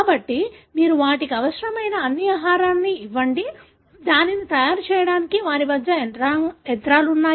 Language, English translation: Telugu, So, you give them all the food that it require, they have the machinery to make it